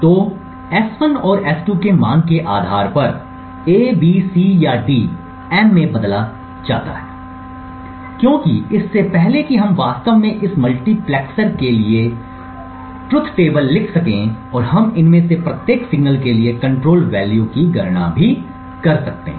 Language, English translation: Hindi, So depending on the value of S1 and S2 either A, B, C or D gets switched into M, as before we can actually write the truth table for this multiplexer and we could also compute the control value for each of these signals